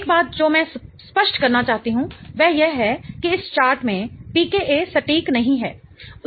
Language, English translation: Hindi, One thing I want to clarify is that the PKs in this chart are not exact